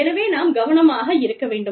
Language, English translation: Tamil, So, we need to be careful